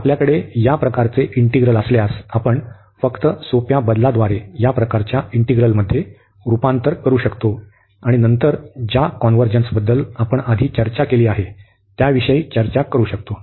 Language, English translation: Marathi, So, if we have this type of integrals, we can just by simple substitution, we can converge into this type of integral, and then discuss the convergence the way we have discussed earlier